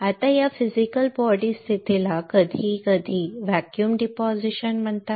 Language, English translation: Marathi, Now this physical body position are sometimes called vacuum deposition